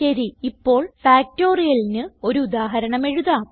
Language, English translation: Malayalam, Okay, let us now write an example for Factorial